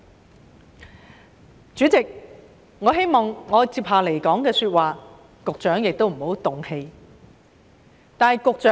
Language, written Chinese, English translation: Cantonese, 代理主席，我希望我接下來的發言，局長也不要動氣。, Deputy President I hope that the Secretary will not get angry with my ensuing speech